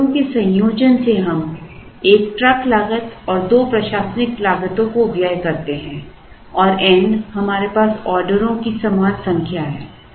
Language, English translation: Hindi, By combining the orders we incur 1 truck cost and 2 administrative costs and n is the equal number of orders that we have